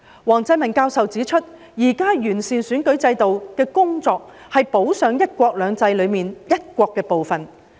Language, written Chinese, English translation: Cantonese, 王振民教授指出，現時完善選舉制度的工作，是補上"一國兩制"中"一國"的部分。, Prof WANG Zhenmin has pointed out that the current work on improving the electoral system is to make up for the part on one country under one country two systems